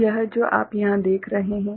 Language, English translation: Hindi, So this what you see over here